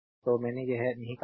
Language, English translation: Hindi, So, I cut this is not there